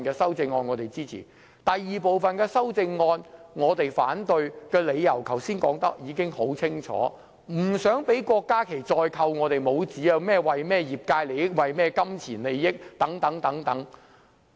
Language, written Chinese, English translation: Cantonese, 至於第二組修正案，我們反對的理由，剛才已說得很清楚，我們不想讓郭家麒議員再扣我們帽子，指我維護業界利益或金錢利益等。, For the second group of amendment we have made ourselves clear in explaining why we reject it . However we must not allow Dr KWOK Ka - ki to make false accusations against us claiming that I am just trying to defend sectorial interests or pecuniary interests etc